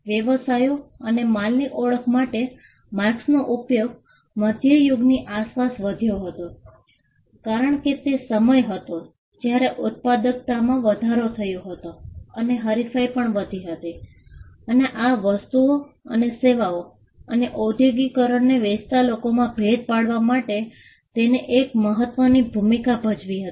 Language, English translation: Gujarati, The use of marks for businesses to identify goods increased around the middle ages, which was a time when productivity increased, and competition also increased and this saw the need to distinguish, goods and services amongst people who were selling these goods and services and industrialization also played a role